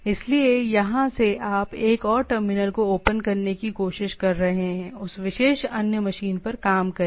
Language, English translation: Hindi, So, from here you are trying to open up another terminal, work on that particular other machines